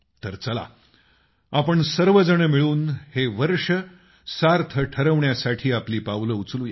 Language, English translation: Marathi, Come, let us all work together to make this year meaningful